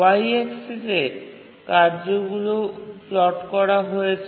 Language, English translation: Bengali, On the y axis we have plotted the tasks